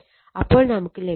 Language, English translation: Malayalam, So, it is basically 0